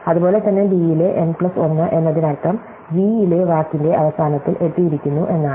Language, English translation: Malayalam, Likewise n plus 1 in b means we have reach the end of the word in v